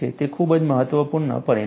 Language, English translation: Gujarati, It is a very very important result